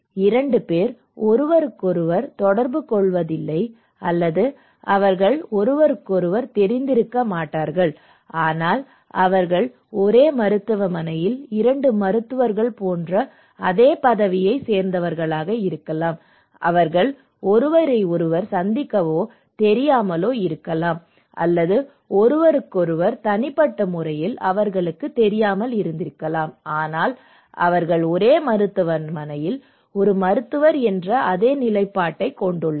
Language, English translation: Tamil, The 2 people they do not interact with each other or they may not know each other at all, but they belong to same position like in a hospital, 2 doctors, they may not meet to know each other, or they may not know actually, but they have a same position that they are a doctor in a same hospital, the hospital is very big so, they have same role and same positions